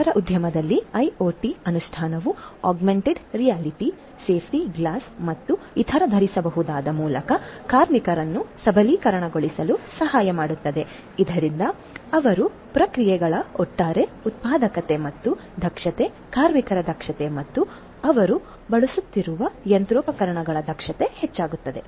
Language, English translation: Kannada, IoT implementation in the food industry can also help in empowering the workers through augmented reality safety glasses and other wearable, thereby increasing the overall productivity and efficiency of their processes, efficiency of the workers, efficiency of the machinery that they are using